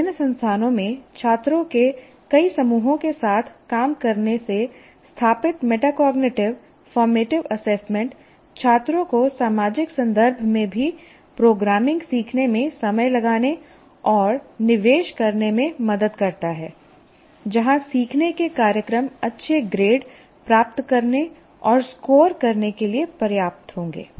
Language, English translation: Hindi, Working with several groups of students at different institutions established, metacognitive, formative assessment helps students plan and invest time in learning programming even in the social context where learning programs will be enough to pass and score good grades